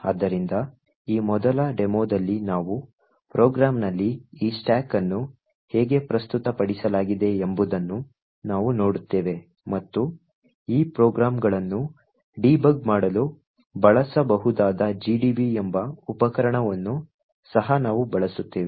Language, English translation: Kannada, So, in this first demo we will actually look at the basics we will see how this stack is presented in a program and we will also uses a tool called gdb which can be used to actually debug these programs